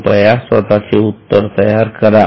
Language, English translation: Marathi, So, please make your solution